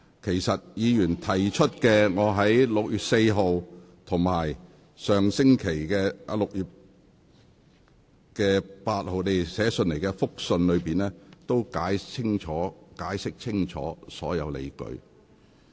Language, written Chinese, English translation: Cantonese, 就委員提出的問題，我已分別於6月6日及6月12日向立法會議員發出函件，解釋清楚所有理據。, On the issues raised by Members I issued letters to Legislative Council Members on 6 June and 12 June respectively to explain all justifications clearly